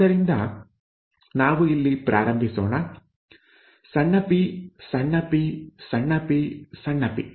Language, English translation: Kannada, So let us start here small p small p, small p small p